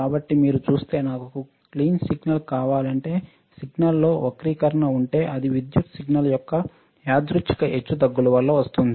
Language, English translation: Telugu, So, you see a signal if I want a clean signal right if I have the distortion in the signal right that may be due to the random fluctuation of the electrical signal